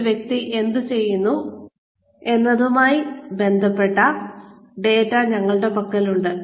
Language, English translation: Malayalam, We have data related to, what the person has been doing